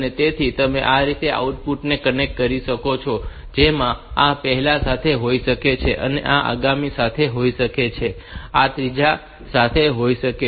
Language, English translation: Gujarati, So, you can connect the outputs like this may be to the first one, next may be to the next one, third one to the third one